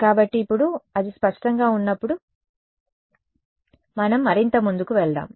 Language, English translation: Telugu, So, while that now that is clear let us go further